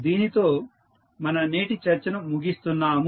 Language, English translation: Telugu, So, with this we can close our today’s discussion